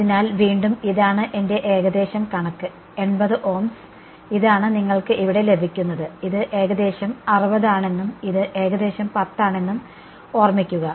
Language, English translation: Malayalam, So, again this is my figure around 80 Ohms, this is what you get over here and mind you this is around 60 and this is around 10